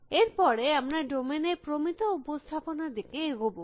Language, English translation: Bengali, After that, we will move towards standardizing representation of the domain